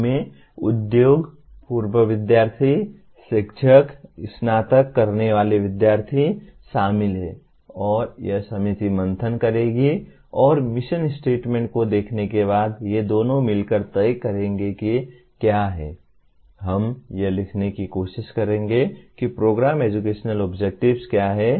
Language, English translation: Hindi, They include industry, alumni, faculty, graduating students and this committee will brainstorm and together looking at the mission statement these two together will decide what the, we will try to write what are the Program Educational Objectives